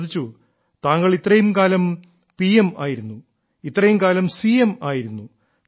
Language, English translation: Malayalam, She said "You have been PM for so many years and were CM for so many years